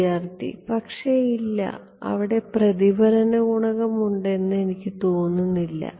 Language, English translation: Malayalam, So, but there is no, I think there is no reflected coefficient